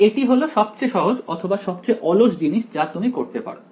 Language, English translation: Bengali, So, this is the easiest or the laziest thing you could do alright